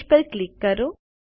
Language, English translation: Gujarati, Click on the page